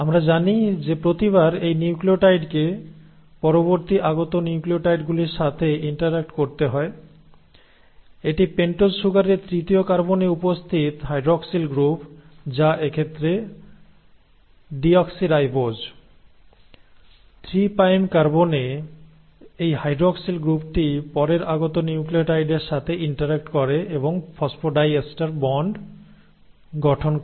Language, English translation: Bengali, Now we know that every time this nucleotide has to interact with the next incoming nucleotide, it is the hydroxyl group present in the third carbon of the pentose sugar which is deoxyribose in this case, has to interact; this hydroxyl group at the third, 3 prime carbon, interacts and forms of phosphodiester bond, with the next incoming nucleotide